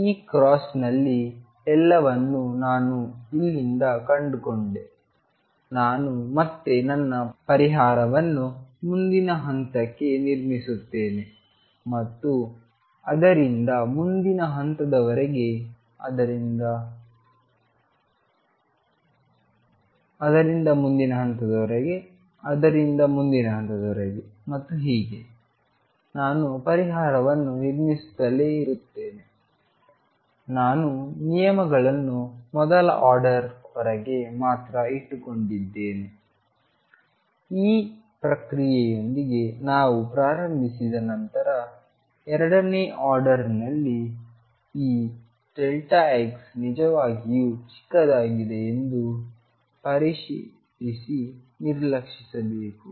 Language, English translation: Kannada, So, I found everything on this cross from here I again build my solution to the next point and from that to the next point, from that to the next point, from that to the next point and so on, I can keep building the solution because I am keeping terms only up to the first order, I have to make sure that this delta x is really small in the second order can be neglected now once we start with this process